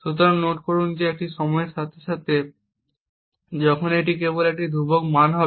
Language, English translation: Bengali, So, note that this is over time, while this is just a constant value